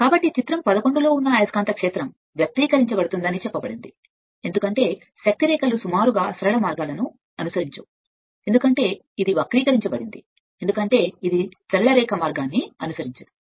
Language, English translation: Telugu, So, the magnetic field that is your in figure 11 is said to be distorted since the lines of force no longer follow approximately straight paths, because this is distorted, because it is not following any straight line path right